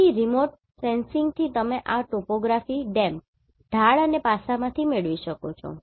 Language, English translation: Gujarati, So, from remote sensing you can derive this Topography from DEM, Slope and aspect